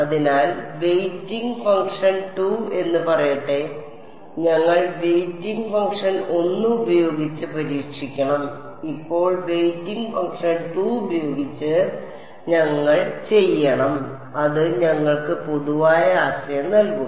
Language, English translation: Malayalam, So, we have to test with let us say weighting function 2, we did with weighting function 1 now we have to do with weighting function 2 which is T 2 x and that will give us the general idea